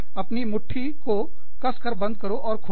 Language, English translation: Hindi, Tightly clench your fist, and open it